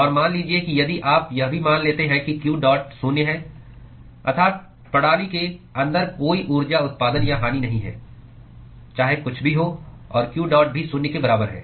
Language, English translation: Hindi, And supposing if you also assume that q dot is zero that is the there is no energy generation or loss inside the system no matter whatsoever and, q dot is also equal to zero